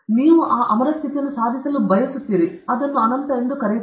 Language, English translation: Kannada, You want to attain that immortal status okay; you call it as anantha